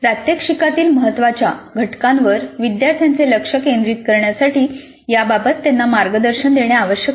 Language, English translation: Marathi, Now learner guidance is quite helpful in making learner focus on critical elements of the demonstration